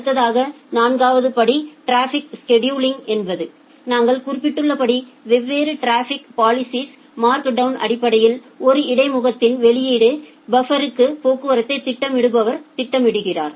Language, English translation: Tamil, Next the fourth step was traffic scheduling as we have mentioned that based on the markdown by different traffic policers, the scheduler schedule the traffic into output buffers of an interface